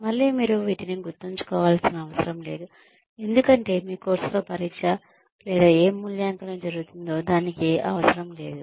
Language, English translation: Telugu, Again, you are not required to memorize these, for your test or whatever evaluation will be happening, later on, in the course